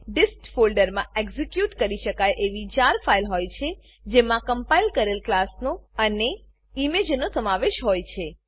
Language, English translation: Gujarati, The dist folder contains an executable JAR file that contains the compiled class and the image